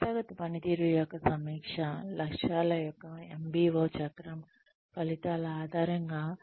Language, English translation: Telugu, Review of organizational performance, based on outcomes of the MBO cycle of objectives